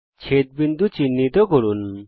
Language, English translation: Bengali, Mark points of intersection